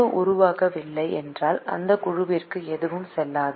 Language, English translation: Tamil, if the group is not formed, then nothing goes into that group